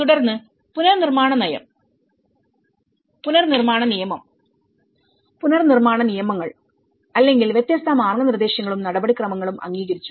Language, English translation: Malayalam, Then, Approved Reconstruction Policy, Reconstruction Act, Reconstruction Bylaws or different guidelines and procedures